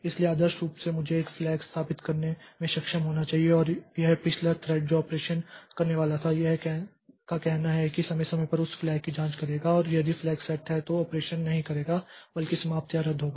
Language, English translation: Hindi, So, ideally I should I should be able to set a flag and this previous thread which was doing the operation, which was supposed to do the operation, so it will periodically check that flag and if that flag is set it will not do the operation or rather terminate or get canceled